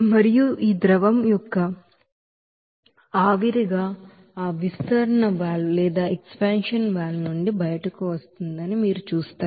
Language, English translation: Telugu, And you will see that this liquid will be you know coming out from that expansion valve as a liquid and vapor